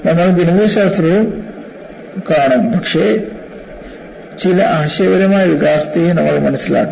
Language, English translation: Malayalam, We would see mathematics as well, but you should also appreciate some of the conceptual development